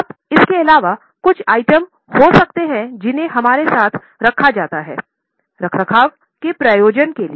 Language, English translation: Hindi, Now, apart from this, there could be some items which are retained for maintenance purposes